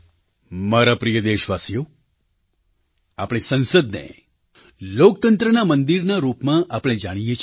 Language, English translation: Gujarati, My dear countrymen, we consider our Parliament as the temple of our democracy